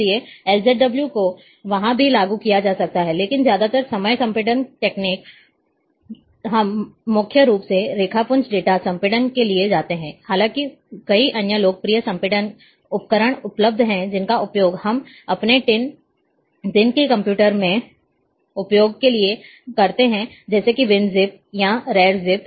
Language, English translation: Hindi, So, LZW can also be applied there, but most of the time compression techniques, we go mainly for raster data compression; however, there are many other popular compression tool available, which we use in our day to day usage of computer like winzip or rarzip